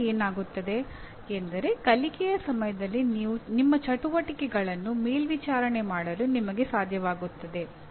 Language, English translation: Kannada, Then what happens next is you should be able to monitor your activities during learning